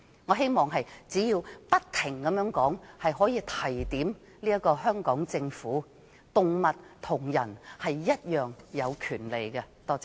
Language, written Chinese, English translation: Cantonese, 我希望只要不停說，可以令香港政府意識到，動物與人類一樣有權利。, I hope that if I keep talking about this the Hong Kong Government will finally realize that both animals and human beings have rights